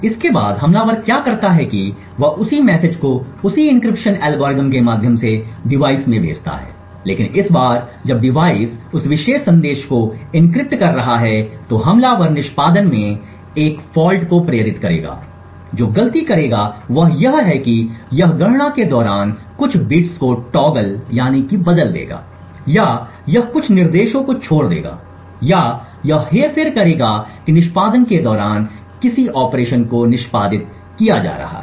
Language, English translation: Hindi, Next what the attacker does he is that he sends the same message the same plain text through the same encryption algorithm in the device but this time as the device is encrypting that particular message the attacker would induce a fault in the execution what the fault would do, is that it would toggle a few bits during the computation or it would skip a few instructions or it would manipulate what operation is being executed during the execution